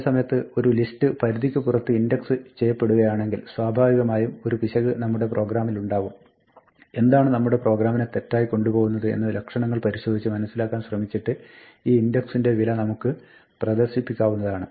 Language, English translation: Malayalam, On the other hand if a list is being indexed out of bounds there is probably an error in our program, and we might want to print out this value the value of the index to try and diagnose what is going wrong with our program